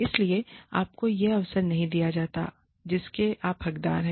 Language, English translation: Hindi, So, you are not given the opportunity, you deserve